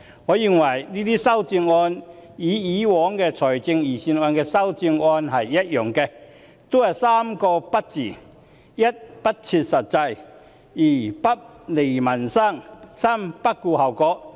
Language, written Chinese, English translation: Cantonese, 我認為這些修正案與過往財政預算案的修正案一樣，都是3個"不"字：一，不切實際；二，不利民生；三，不顧後果。, Similar to the proposed amendments to previous budgets I think these amendments can be summarized in three nos first no relevance to reality; second no benefit to peoples livelihoods; and third no regard for the consequences